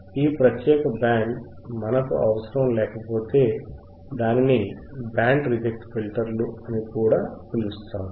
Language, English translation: Telugu, thisIf this particular band we do not require, Reject; that means, it is also called Band Reject Filters all right got it